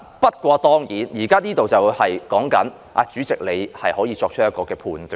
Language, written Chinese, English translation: Cantonese, 不過，當然，現在有關修訂是指主席可以作出判斷。, However the amendment now of course refers to giving power to the President to make a judgment